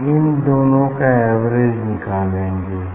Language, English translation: Hindi, And then I will take the average of this